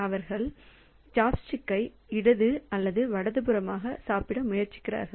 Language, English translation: Tamil, So, they just try to grab the chop stick to the left or right